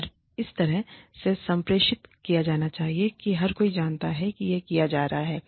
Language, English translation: Hindi, And, it should be communicated in such a way, that everybody knows, that this is being done